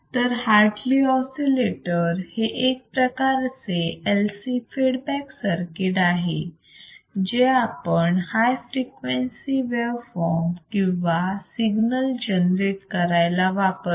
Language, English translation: Marathi, So, the Hartley oscillator is one of the classical LC feedback circuits and is used to generate high frequency wave forms or signals alright